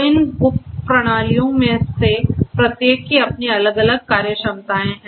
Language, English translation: Hindi, So, each of these subsystems they have their own different functionalities